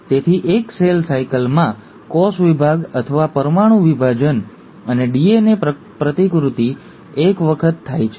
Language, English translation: Gujarati, So, in one cell cycle, the cell division or the nuclear division and the DNA replication happens once